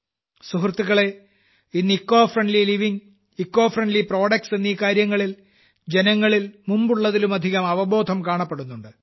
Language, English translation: Malayalam, Friends, today more awareness is being seen among people about Ecofriendly living and Ecofriendly products than ever before